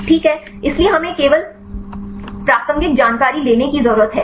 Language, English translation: Hindi, So, we need to take the only the relevant information